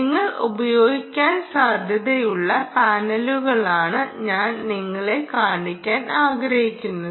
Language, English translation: Malayalam, what i like to show you is the kind of panels that you are likely to use are something